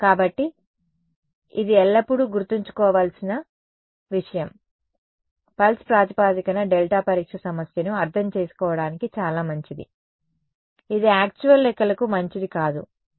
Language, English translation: Telugu, So, this is something to always keep in mind pulse basis delta testing is very good for understanding a problem, it is not good foRactual calculations and yeah